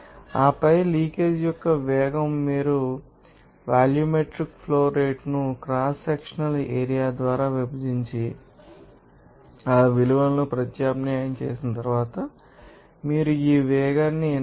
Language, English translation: Telugu, And then velocity of the leakage you can get it volumetric flow rate divided by cross sectional area then after substitution of those values, you can get this velocity as 4